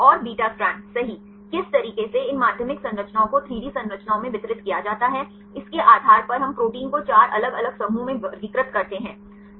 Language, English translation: Hindi, And beta strand right how these secondary structures are distributed in 3D structures, based on that we classify the proteins into 4 different groups